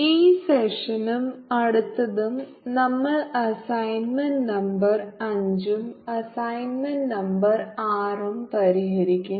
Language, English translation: Malayalam, and this session and the next one will be solving a assignment, number five and assignment number six